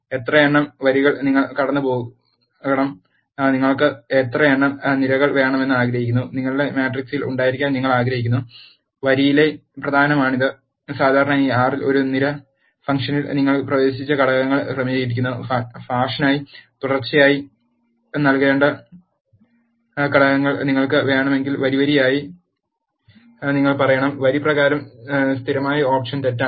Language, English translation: Malayalam, You have to pass how many number of rows, you want to have how many number of columns, you want to have in your matrix and this is the important one by row usually R arranges the elements you have entered in a column fashion, if you want the elements that are given to be entered in a row as fashion you have to say by row as true the default option for by row is false